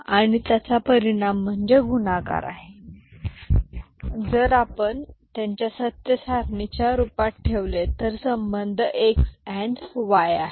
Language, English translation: Marathi, And the result is the product then if we put them in the form of a truth table the relationship is x and y is your m ok